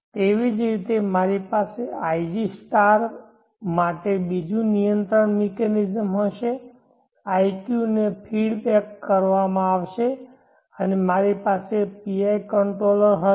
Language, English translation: Gujarati, Similarly, I will have another control mechanism for iq*, iq is fed back and I will have a PI controller